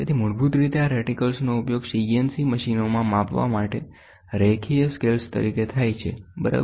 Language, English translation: Gujarati, So, basically these reticles are used in used as linear scales for measurements in CNC machines, ok